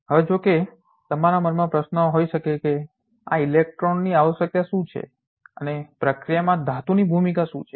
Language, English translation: Gujarati, Now, of course, the question might be in your mind what is the necessity of these electrons and what is the role of the metal in the process